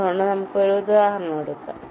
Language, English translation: Malayalam, ok, so lets take an example